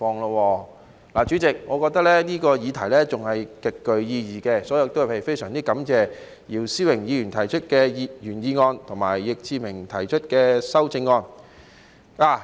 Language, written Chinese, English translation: Cantonese, 然而，主席，我認為這議題仍然極具意義，所以非常感謝姚思榮議員提出的原議案和易志明議員提出的修正案。, However President I still consider this topic profoundly meaningful so I am very grateful to Mr YIU Si - wing for moving the original motion and to Mr Frankie YICK for proposing the amendment